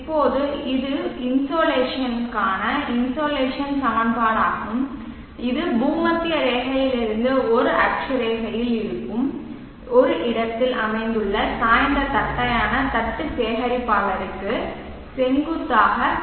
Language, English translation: Tamil, Now this is the insulation equation for the insulation that is incident perpendicular to the tilted flat plate collector located at a locality which is at a latitude